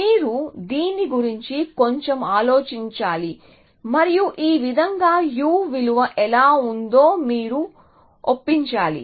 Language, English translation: Telugu, So, you have to think a little bit about this and convince yourself that this is how a u value